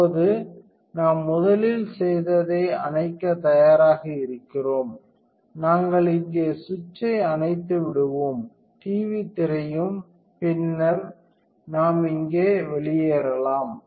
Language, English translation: Tamil, Now, I ready to turn off first what is we do is we will turn off the switch here, also the TV screen and then we can log out here